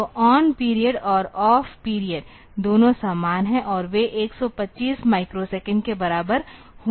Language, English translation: Hindi, So, on period is on period an off period; so, both of them are same and they are going to be equal to 125 microsecond